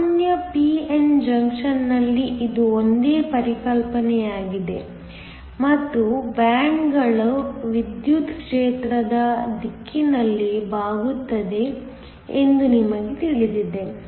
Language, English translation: Kannada, This is a same concept in a regular p n junction and we know that bands bend up in the direction of the electric field